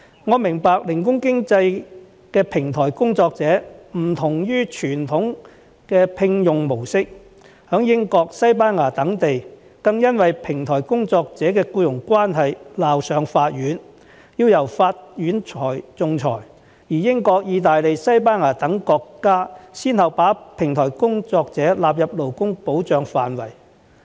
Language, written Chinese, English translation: Cantonese, 我明白零工經濟的平台工作者的聘用模式異於傳統模式，在英國、西班牙等地，更因為平台工作者的僱傭關係鬧上法院，要由法院仲裁；而英國、意大利、西班牙等國家亦先後把平台工作者納入勞工保障範圍。, I understand that the employment mode of platform workers under the gig economy is different from the traditional employment mode . In places such as the United Kingdom and Spain the employment relationship between platform workers and platform companies was taken to court for a ruling; and in countries such as the United Kingdom Italy and Spain platform workers have been included into the scope of labour protection